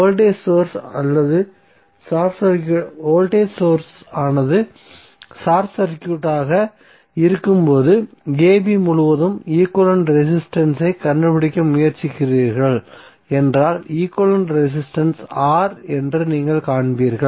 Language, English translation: Tamil, So if you see this case and you are trying to find out equivalent resistance across ab when voltage source is short circuited you will see equivalent resistance is R